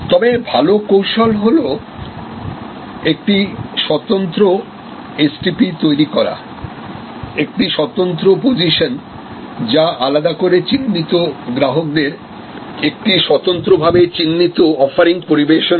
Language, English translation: Bengali, But, most often good strategy is to create a distinctive STP, a distinctive position serving a distinctly identified segment of customers with a very distinctive set of offerings as a target